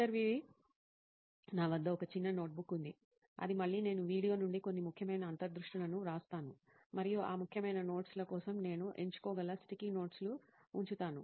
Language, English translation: Telugu, I have a small notebook with me which again I write a few important insights from the video and I keep stick notes where I can pick for that important notes